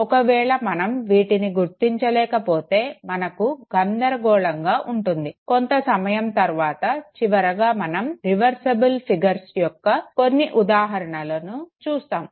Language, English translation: Telugu, If we are not able to establish it we have confusion no, little later I think know towards the end we would also take some of the examples of reversible figures, reversible figure means